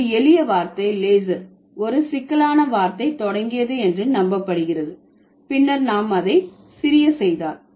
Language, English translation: Tamil, So, it is believed that the simple word leisure must have begun with a complex word, then we made it small